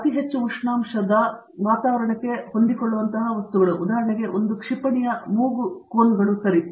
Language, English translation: Kannada, And, materials which are for extremely high temperature environments, for example, something like nose cones of a missile okay